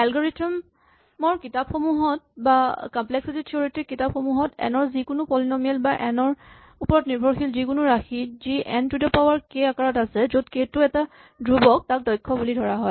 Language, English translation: Assamese, Theoretically if you look at algorithms books or complexity theoretic books, any polynomial, any dependence on n which is of the form n to the k for a constant k is considered efficient